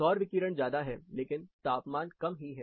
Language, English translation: Hindi, The solar radiation is high, but the temperatures are quite lower